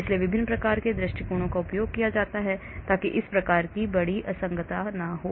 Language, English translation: Hindi, so different types of approaches are used so that this type of large discontinuity does not happen